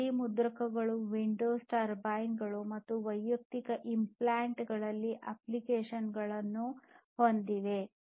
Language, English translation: Kannada, So, these have basically, 3D printers have applications in wind turbines, medical implants and so on